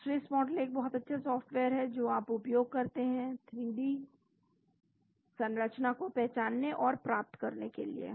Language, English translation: Hindi, So, Swiss model is very good software it makes use, to identify and get 3D structure